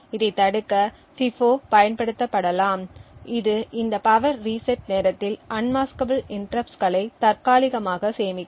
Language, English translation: Tamil, In order to prevent this what needs to be done is a FIFO can be used which would temporarily store the unmaskable interrupts during this power reset time